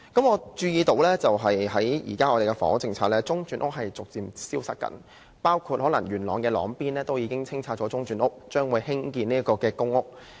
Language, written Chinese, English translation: Cantonese, 我注意到，在現行房屋政策中，中轉房屋正在逐漸消失，包括位於元朗的朗邊中轉房屋可能已被清拆，土地將會用來興建公屋。, I notice that under the current housing policy interim housing is vanishing gradually . It includes the one located at Long Bin Yuen Long which has probably been demolished and the site will be used for PRH construction